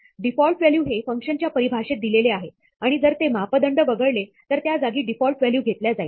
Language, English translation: Marathi, The default value is provided in the function definition and if that parameter is omitted, then, the default value is used instead